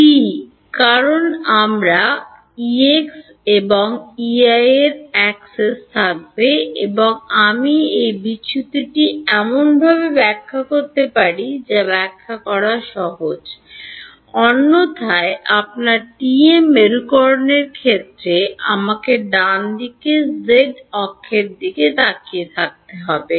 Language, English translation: Bengali, TE, because I will have a access to E x and E y and I can evaluate this divergence in a way that is easy to interpret, otherwise in the case of a your TM polarization I have to be looking at the z axis right